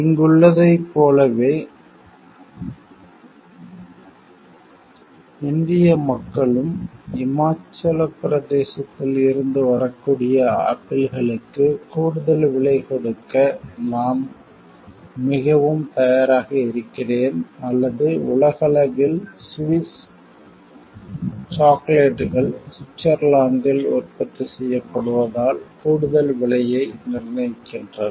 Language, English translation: Tamil, Like here, in India people I am very much willing to pay an extra price for the apples that may hail from Himachal Pradesh or, globally like Swiss chocolates command an extra price as they are produced in Switzerland However, so, it is not only restricted to agricultural products